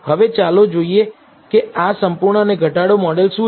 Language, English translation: Gujarati, Now, let us see what these full and reduced model are